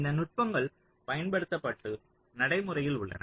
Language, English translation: Tamil, so these techniques are used and practiced